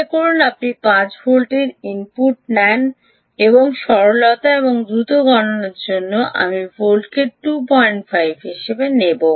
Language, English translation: Bengali, supposing you take input ah of five volts, ok, and for simplicity and quick computation i will take v out as two point five volts